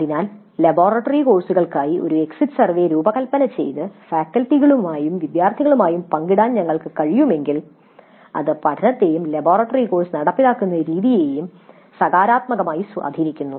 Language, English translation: Malayalam, So, if we can design an exit survey for the laboratory courses upfront and share it with faculty and students, it has some positive impact on the learning as well as the way the laboratory course is implemented